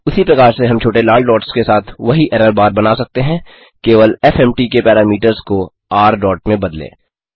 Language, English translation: Hindi, similarly we can draw the same error bar with small red dots just change the parameters of fmt to r dot